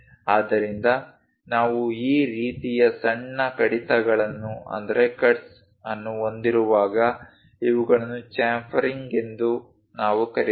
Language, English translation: Kannada, So, whenever we have that kind of small cuts, we call these are chamfering